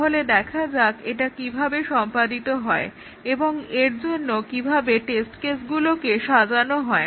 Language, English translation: Bengali, So, let us see how it is done and how to design the test cases for this